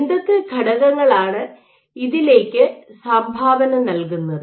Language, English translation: Malayalam, So, what the factors that do contribute